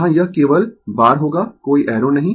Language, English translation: Hindi, Here, it will be bar only, no arrow right